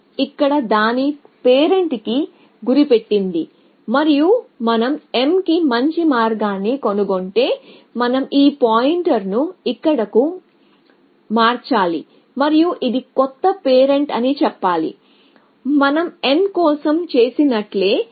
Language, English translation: Telugu, So, m was pointing to its parent here and if we find a better path to m, we must shift this pointer here and say that this is the new parent, exactly like what we did for n